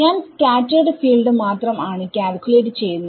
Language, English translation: Malayalam, So I am only calculating the scattered field